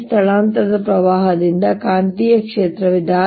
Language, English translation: Kannada, because of this displacement current there's going to be field